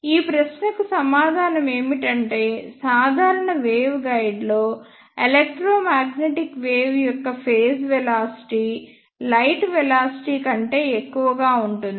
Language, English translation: Telugu, The answer to this question is that the phase velocity of electromagnetic wave is greater than velocity of light in a ordinary wave guide